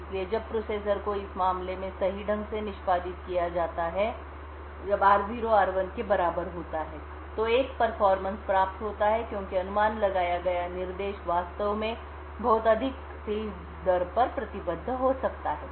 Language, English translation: Hindi, So, when the processor as executed correctly in this case when r0 is equal to r1 then a performance is gained because the speculated instructions could actually be committed at a much more faster rate